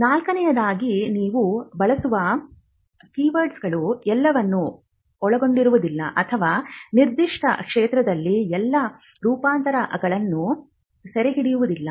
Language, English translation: Kannada, Fourthly the keywords that you use may not cover all or capture all the variants in that particular field